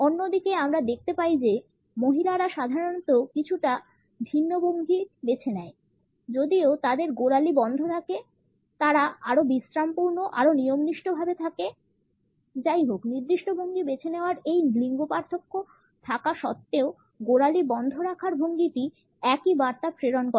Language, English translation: Bengali, On the other hand, we find that the women normally opt for slightly different posture even though their ankles are locked, they come across as more restful, more formal; however, the communication of the ankle lock are similar despite these gender differences of opting for certain postures